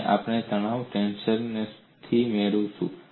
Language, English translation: Gujarati, And we know, what is the stress tensor